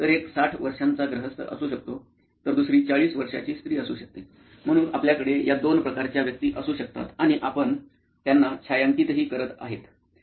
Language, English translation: Marathi, So one could be a sixty year old gentleman the other could be a forty year old lady, so you could have these two types of personas and you could be shadowing them as well